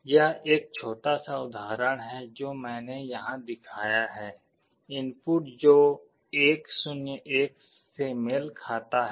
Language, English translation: Hindi, This is a small example I have shown here, for input that corresponds to 1 0 1